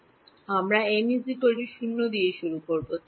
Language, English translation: Bengali, So, we will start with m is equal to 0